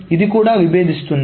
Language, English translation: Telugu, So this also conflicts